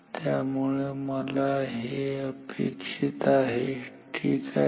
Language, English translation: Marathi, So, this is what I want ok